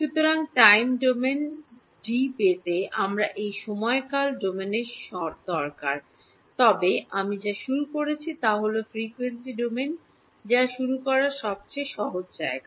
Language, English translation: Bengali, So, to get D in the time domain I need this epsilon r in time domain, but what I have started with is starting point is frequency domain that is the simplest place to start with